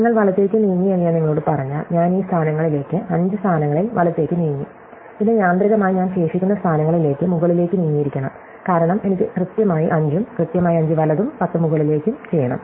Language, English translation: Malayalam, Then if I tell you that you moved right, I moved right at these positions, at some five positions, then automatically I must have moved up at the remaining positions because I have to do exactly 5 and exactly 5 right and 10 up